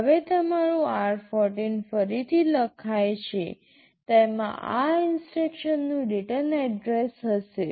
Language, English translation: Gujarati, Now your r14 gets overwritten, it will contain the return address of this instruction